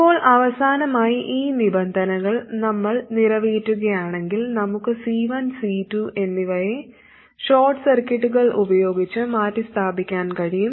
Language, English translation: Malayalam, Now finally, if we satisfy these conditions, then we can replace both C1 and C2 by short circuits